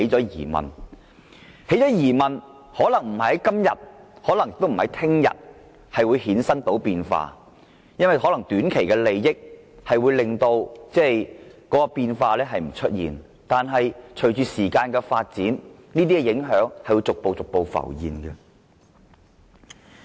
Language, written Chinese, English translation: Cantonese, 有了質疑後，可能不是今天，亦未必是明天便會出現變化，可能會因短期利益而將變化掩藏，但隨着時間過去，這些影響終究會逐步浮現。, Once there are such doubts changes may not arise today or tomorrow or changes may be disguised by short - term benefits but with the passage of time such impacts will eventually surface